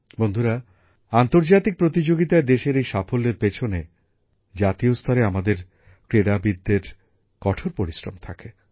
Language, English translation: Bengali, Friends, behind this success of the country in international events, is the hard work of our sportspersons at the national level